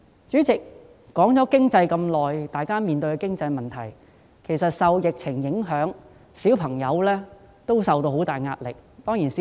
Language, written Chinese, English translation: Cantonese, 主席，我花了很長時間討論大家所面對的經濟問題，但其實受疫情影響，兒童也承受着巨大壓力。, President I have spent a lot of time discussing the economic problems that we are facing but in fact children are also subject to immense pressure under the epidemic